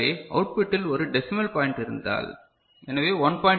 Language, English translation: Tamil, So, the output if there is a decimal points, so 1